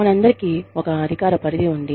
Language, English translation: Telugu, All of us, have a jurisdiction